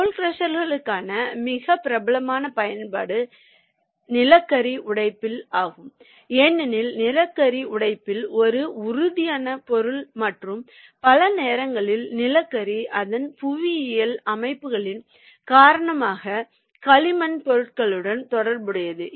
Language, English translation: Tamil, the very popular application for roll crushers is steel on the coal breakage, because coal is essentially a friable material and many times the coal is associated with the clay materials because of his geological formations